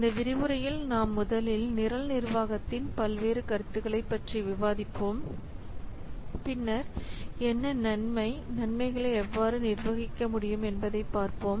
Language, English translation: Tamil, So in this lecture we will discuss first the various concepts of program management, then what is benefit, how benefits can be managed